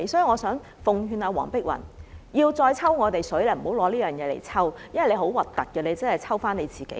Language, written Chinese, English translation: Cantonese, 我想奉勸黃碧雲議員，不要再這樣向我們"抽水"，這樣真的很難看，只會反"抽"自己。, I would like to advise Dr Helena WONG to stop trying to gain political advantage by doing this to us again . This is really unseemly and will only backfire on her